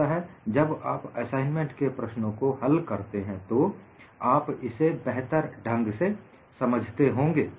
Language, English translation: Hindi, So, when you solve the assignment problem, you will understand it better